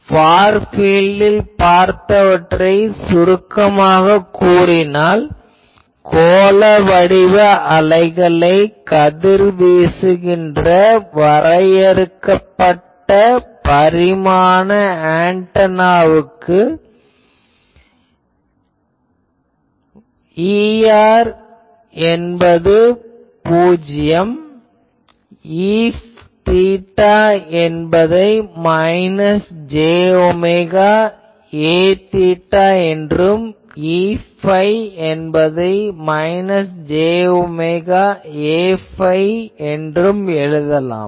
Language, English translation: Tamil, So, we can say that in the Far field region for finite dimension antenna radiated spherical waves, we have E r is going to 0; E theta is can be approximated as you see minus j omega A theta and E phi as minus j omega A phi